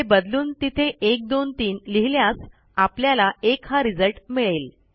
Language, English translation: Marathi, Changing this to 123, will hopefully give us 1